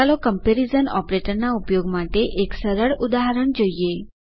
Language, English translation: Gujarati, Let us consider a simple example for using comparison operator